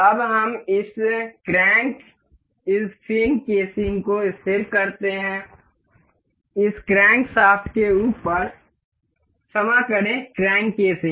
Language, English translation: Hindi, Now, let us fix this crank this fin casing over this crankshaft, sorry the crank casing